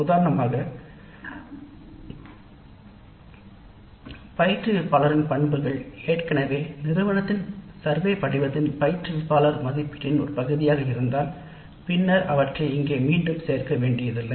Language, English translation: Tamil, For example, if instructor characteristics are already covered as a part of the faculty evaluation by students aspect of the institute wide survey form, then we don't have to repeat them here